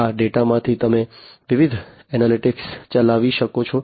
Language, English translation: Gujarati, So, from this data you can run different analytics